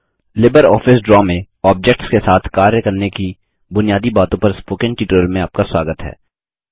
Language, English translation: Hindi, Welcome to the Spoken Tutorial on Basics of Working with Objects in LibreOffice Draw